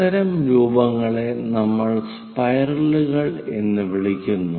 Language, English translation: Malayalam, This is what we call spiral